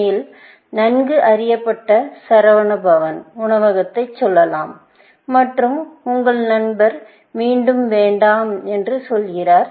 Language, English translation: Tamil, Let us say this well known restaurant in Chennai; Saravana Bhavan, and your friend